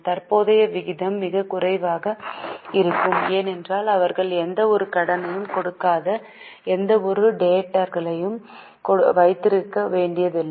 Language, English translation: Tamil, The current ratio will be very less because they don't have to give any, they don't have to have any debtors